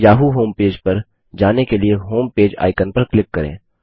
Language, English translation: Hindi, Click on the Homepage icon to go to the yahoo homepage